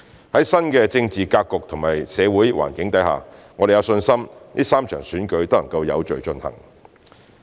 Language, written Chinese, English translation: Cantonese, 在新的政治格局及社會環境下，我們有信心3場選舉能有序進行。, Given the new political and social environment we trust that the three elections can be conducted in an orderly manner